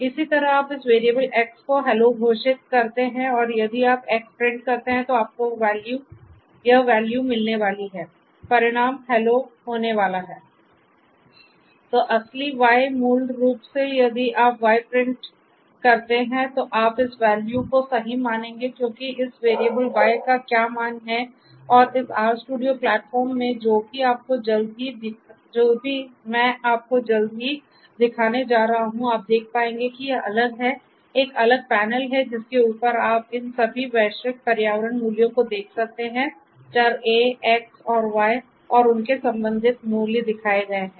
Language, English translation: Hindi, Similarly you declare this variable X to be hello and if you print X then you are going to get this value the result is going to be hello, then true Y basically if you print Y then you are going to get this value true because that is what this valuable this variable Y is going to have this value and also in this R studio platform which I am going to show you shortly you will be able to see these different there is a separate panel over which you can see all these global environment values of these different variables A, X and Y and their corresponding values shown